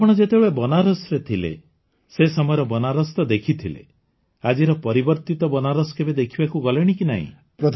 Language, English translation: Odia, So, did you ever go to see the Banaras of that time when you were there earlier and the changed Banaras of today